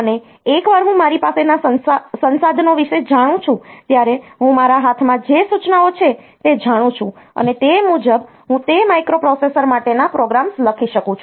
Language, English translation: Gujarati, And once I know that I will know about the resources that I have I will know the instructions that I have in my hand, and accordingly I can write down the programs for that microprocessor